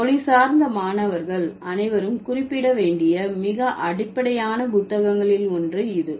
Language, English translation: Tamil, It's one of the very basic books that all linguistics students should refer to